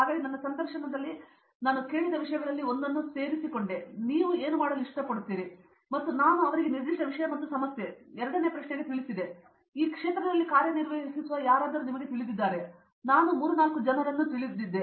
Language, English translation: Kannada, So, I actually when I joined here one of the things which was asked in my interview is what do you like to do and I told them very specific subject area and problem and the second question was, do you know anyone who works in this field and I knew 3, 4 people but I didn’t know whom of them where there in the interview board